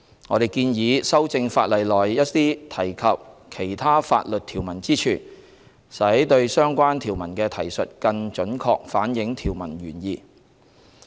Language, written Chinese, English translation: Cantonese, 我們建議修正法例內一些提及其他法律條文之處，使對相關條文的提述更準確反映條文原意。, We propose that amendments be made to certain references made in the legislation to other statutory provisions so that the references to the relevant provisions will reflect more accurately the intent of the provisions